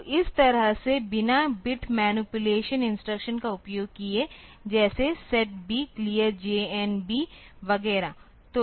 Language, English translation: Hindi, So, this way without using any bit manipulation instruction like a set B clear B J B J N B etcetera